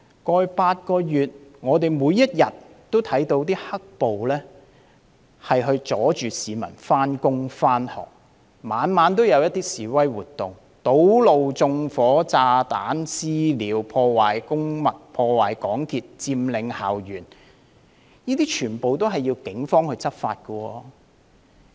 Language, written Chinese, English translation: Cantonese, 過去8個月，我們每天也看到"黑暴"阻礙市民上班和上學，每晚也有示威活動，堵路、縱火、放置炸彈、"私了"、破壞公物和港鐵設施、佔領校園，這些全都需要警方執法。, In the past eight months we could see black - clad rioters preventing people from going to work and school every day as well as demonstrations every evening . Road blockages arsons placing of bombs vigilante attacks and vandalism of public properties and MTR facilities and occupation of campus all called for law enforcement actions by the Police